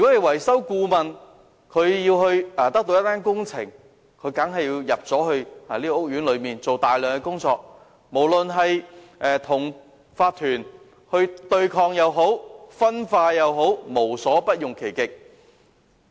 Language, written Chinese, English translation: Cantonese, 維修顧問如想得到一份工程合約，當然要先進入屋苑進行大量的前期工作，不論是與業主立案法團對抗也好、分化也好，總之便無所不用其極。, In order to secure a works contract the maintenance consultant obviously has to carry out a large amount of lead work in the housing estate whether by challenging the owners corporation OC or by driving a wedge between OC members . In short they will do it by fair means or foul and all the methods employed by them are meant to stake their claims